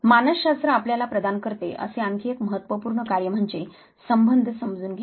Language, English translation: Marathi, Another important task that psychology provides you is to understand relationships